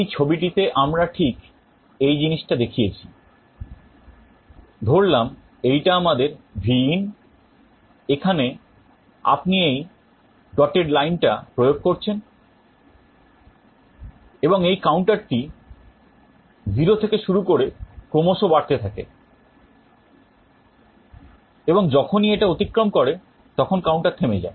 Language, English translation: Bengali, In this diagram we have showed exactly this thing, suppose this is our Vin that you are applied this dotted line, and the counter will starts from 0 it will continuously go on incrementing and as soon as it crosses the counter will stop